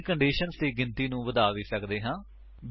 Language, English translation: Punjabi, We can also increase the number of conditions